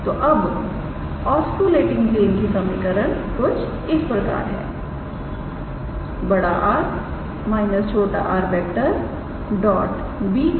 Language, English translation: Hindi, So, now the equation of the oscillating plane is R minus small r dot b equals to 0